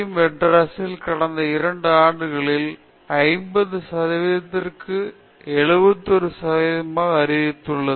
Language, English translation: Tamil, So, in the case IIT Madras it has increased from 50 percentage to 71 percentage in the last 2 years